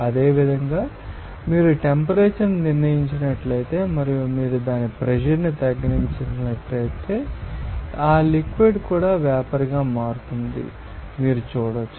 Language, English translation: Telugu, Similarly, you can see that if you fixed your temperature and if you lower its pressure you will see that liquid also will be converting into vapour